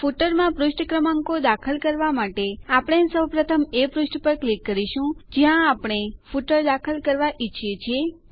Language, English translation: Gujarati, To insert page numbers in the footer, we first click on the page where we want to insert the footer